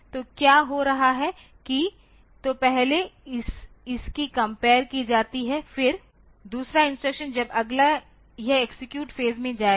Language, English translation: Hindi, So, what is happening is that so, first it will be compared then the next instruction when it goes to execute phase